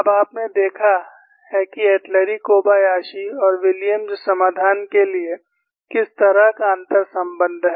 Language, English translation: Hindi, Now, you have seen, what is the kind of inter relationship for the Atluri Kobayashi and Williams solution